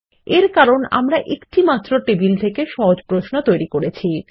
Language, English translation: Bengali, This is because we are creating a simple query from a single table